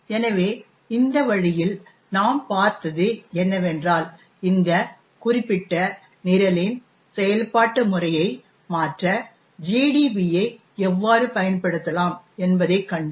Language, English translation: Tamil, So, in this way what we have seen is that, we have seen how GDB can be used to actually change the execution pattern of this particular program